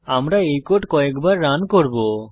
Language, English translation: Bengali, I will run this code a few times